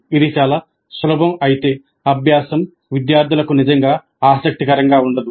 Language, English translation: Telugu, If it is too easy the learning is not likely to be really interesting for the students